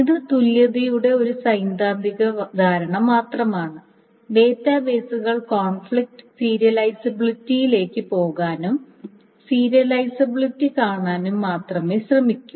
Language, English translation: Malayalam, So it is essentially just a theoretical notion of equivalence and the database databases only go, only try to go up to conflict serializability and views idealizability